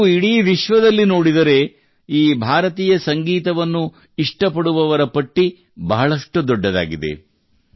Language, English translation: Kannada, If you see in the whole world, then this list of lovers of Indian music is very long